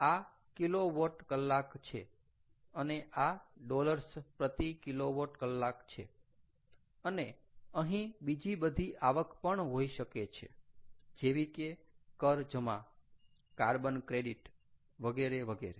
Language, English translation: Gujarati, this is kilowatt hour and this is dollars per kilowatt hour, ok, and there can be other revenues also, plus, let us say, tax credit, carbon credits, etcetera, etcetera